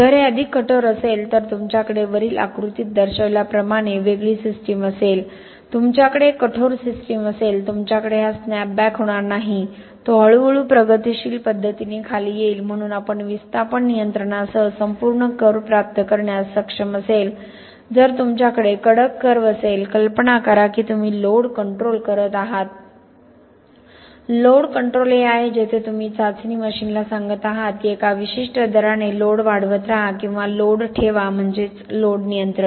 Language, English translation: Marathi, If this was more rigid then you would have a system like this okay, you would have a system that is stiffer, you will not have this snapback occurring, it will come down in a gradually progressive manner so with displacement control we will be able to get the whole curve, if you have a curve like this, imagine you are doing load control, load control is where you are telling the testing machine keep increasing the load in a certain rate or increase the load, keep the load, increase the load, keep the load okay that is load control